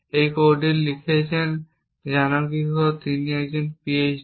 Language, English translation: Bengali, This code has been written by, Gnanambikai, who is a Ph